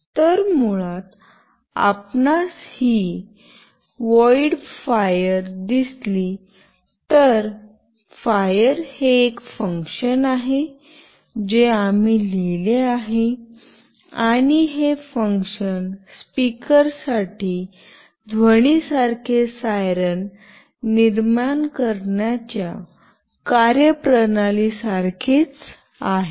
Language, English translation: Marathi, So, basically if you see this void fire, fire is a function that we have written and this function is very similar to what we were doing for the speaker generating a siren like sound